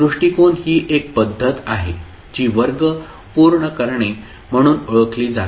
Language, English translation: Marathi, So, the approach is the method which is known as completing the square